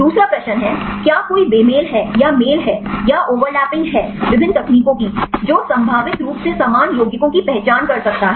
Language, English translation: Hindi, Second question is; are there any mismatches or matches or over lapping of the different techniques; which can potentially identify same compounds